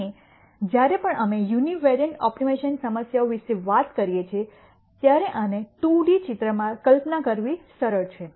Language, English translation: Gujarati, And whenever we talk about univariate optimization problems, it is easy to visualize that in a 2D picture like this